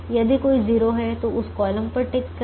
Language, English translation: Hindi, if there is a zero, tick that column